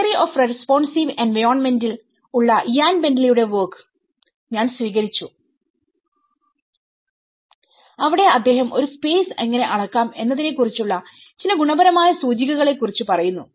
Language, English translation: Malayalam, So I have adopted Ian Bentley’s work on the theory of responsive environments where he talks about certain qualitative indices how to measure a space